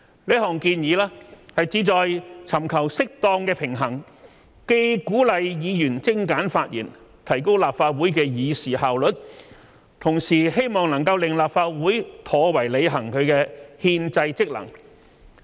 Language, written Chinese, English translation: Cantonese, 此項建議旨在尋求適當的平衡，既鼓勵議員精簡發言，提高立法會的議事效率，同時希望能令立法會妥為履行其憲制職能。, This proposal aims to strike a proper balance . This would not only encourage Members to make concise speeches with a view to enhancing the efficiency of the Council in transacting business but hopefully also enable the Council to discharge its constitutional functions in a proper manner